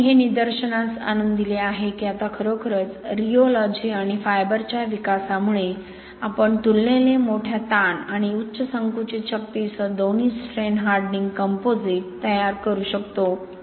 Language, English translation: Marathi, So that is I pointed this out, that now really with the development of rheology and fibres, we can produce both a strain hardening composite with relatively large strain and high compressive strength